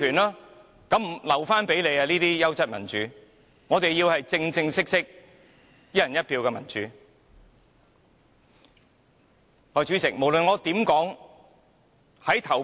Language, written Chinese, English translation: Cantonese, "優質民主"就留給建制派議員吧，我們要的是正正式式，"一人一票"的民主。, Let us just leave quality democracy to pro - establishment Members . What we want is genuine democracy based on one person one vote